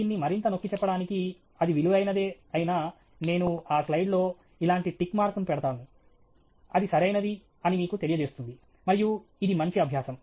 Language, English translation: Telugu, And just to emphasis it further, whatever it is that is worth doing, I will put a tick mark like this on that slide which would tell you that that’s a good thing do; good practice to do